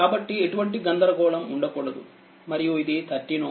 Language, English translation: Telugu, So, there should not be any confusion and this is your 13 ohm